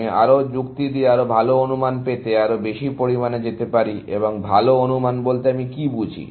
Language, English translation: Bengali, I can go to more extent to do more reasoning, to get better estimates, and what do I mean by better estimates